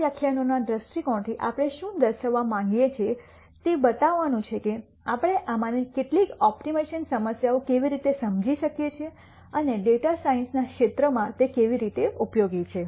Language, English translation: Gujarati, From these lectures viewpoint what we want to point out is to show how we can understand some of these optimization problems and how they are useful in the field of data science